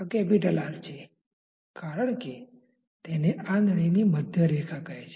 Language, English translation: Gujarati, This is capital R because this is say the centre line of the tube